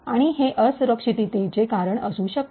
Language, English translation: Marathi, And, this could be a reason for a vulnerability